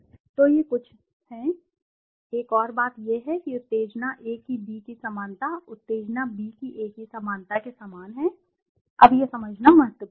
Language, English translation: Hindi, So, these are some of the, it is, one more is that the similarity of stimulus A to B is the same as the similarity of stimulus B to A, now this is crucial this is to understand